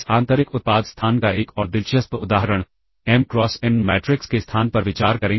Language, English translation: Hindi, Another interesting example of this inner product space consider the space of m cross n matrices